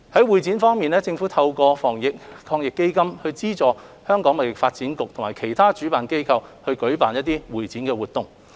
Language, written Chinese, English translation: Cantonese, 會展業方面，政府透過防疫抗疫基金資助香港貿易發展局及其他主辦機構舉辦的會展活動。, For the convention and exhibition sector the Government has through AEF subsidized convention and exhibition activities organized by the Hong Kong Trade Development Council HKTDC and other organizers